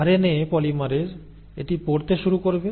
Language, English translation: Bengali, So the RNA polymerase will then start reading this